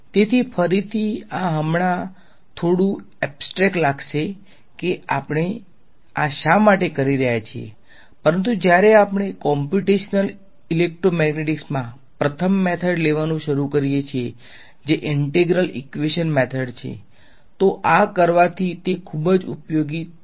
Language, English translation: Gujarati, So, again this will seem a little bit abstract right now that why are we doing this, but when we begin to take the first method in computational electromagnetic which is which are integral equation method, it will become very very useful having done this